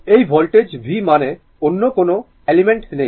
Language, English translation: Bengali, This voltage v means no other element is there